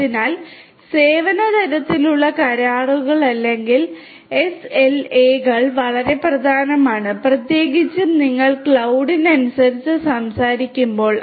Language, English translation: Malayalam, So, Service Level Agreement or SLAs are very important particularly when you are talking about cloud